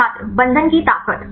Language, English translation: Hindi, The strength of binding